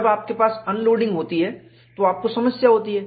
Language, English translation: Hindi, When you have unloading, you have a problem